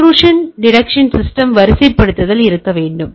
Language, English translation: Tamil, And there should be a deployment of intrusion detection system